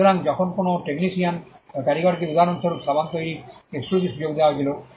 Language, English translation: Bengali, So, when a technician or a craftsman was given an exclusive privilege to manufacture soaps for instance